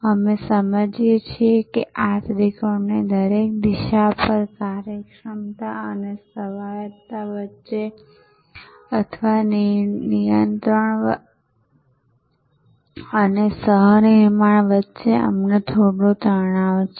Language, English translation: Gujarati, We understood that on each vector of this triangle, we have some tension between efficiency and autonomy or between control and co creation and so on